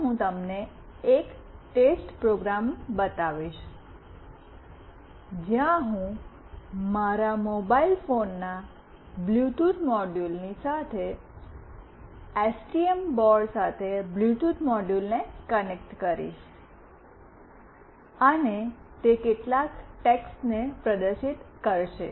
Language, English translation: Gujarati, First I will show you a test program, where I will be connecting the Bluetooth module with STM board along with my mobile phone Bluetooth module, and it will display some text